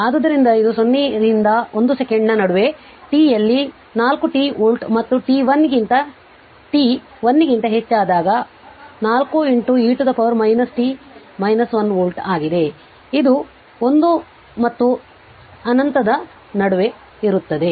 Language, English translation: Kannada, So it is 4 t volt for in t in between 0 and 1 second and your 4 into e to the power minus t minus 1 volt when you when t is greater than 1, but I mean in between 1 and infinity right